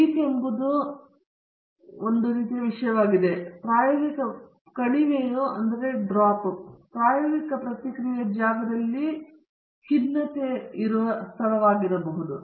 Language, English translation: Kannada, Peak is mountain kind of thing and a valley is a depression kind of geography in the experimental response space